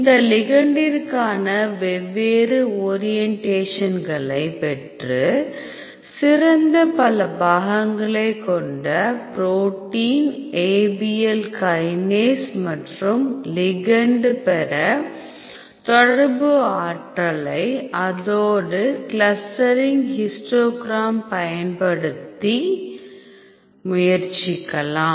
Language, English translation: Tamil, So, then we get different orientations for this ligand and you try to get the best complex between the protein Abl kinase and the ligand using interaction energy as well as the clustering histogram